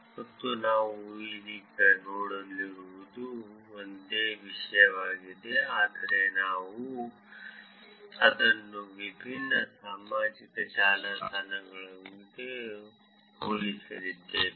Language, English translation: Kannada, And what we are going to see now is almost the same topic, but we are going to actually compare it with different social networks